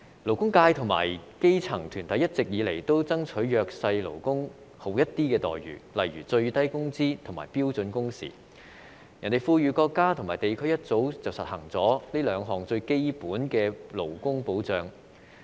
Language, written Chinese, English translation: Cantonese, 勞工界和基層團體一直以來均爭取對弱勢勞工好一點的待遇，例如最低工資及標準工時，其他富裕國家和地區早已實行這兩項最基本的勞工保障。, The labour sector and grass - roots organizations have long been fighting for better treatment of the disadvantaged workers such as in respect of minimum wage and standard working hours . Meanwhile other developed countries and regions have long implemented these two most basic labour protection measures